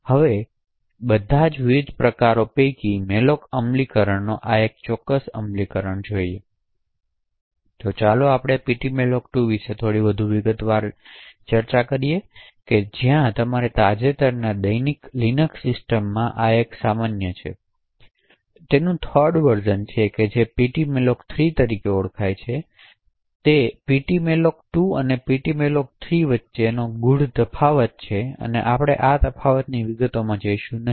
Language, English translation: Gujarati, So let us look a little more in detail about ptmalloc2 note that while this is quite common in most recent daily Linux systems the 3rd version of that which is known as ptmalloc3 is also present, so there are subtle differences between ptmalloc2 and ptmalloc3 and we would not go into the details of these differences